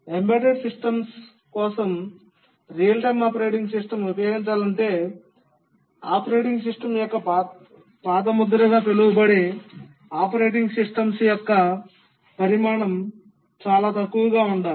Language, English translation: Telugu, Also, if the real time operating system is to be used for embedded systems, then the size of the operating system, sometimes called as the footprint of the operating system, needs to be very small